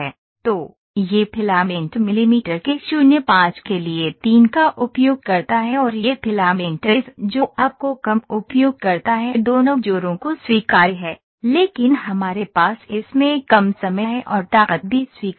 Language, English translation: Hindi, So, this filament uses 3 for 0 5 of millimetres and this case the filament uses lesser this job both joints are acceptable, but we are having lesser time in this and also the strength is acceptable